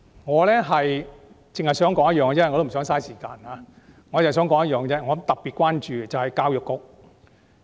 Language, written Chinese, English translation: Cantonese, 我不想浪費時間詳細討論，我只想指出一點，我特別關注教育方面。, I do not wish to waste time to go into a detailed discussion . I only want to make one point and I am particularly concerned about education